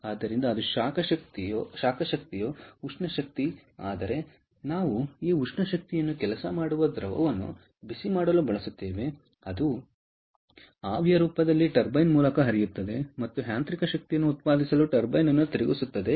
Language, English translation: Kannada, we use that thermal energy to heat up a working fluid which flows through a turbine in the vapor form and rotates the turbine to generate mechanical energy